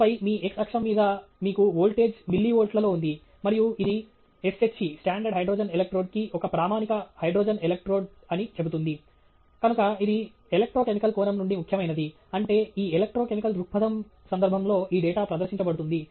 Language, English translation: Telugu, And then on your x axis, you have voltage, in millivolts, and it says against S H E that’s a standard hydrogen electrode, and so that’s important from an electrochemical perspective, which is what this data is presented in the context of that electrochemical perspective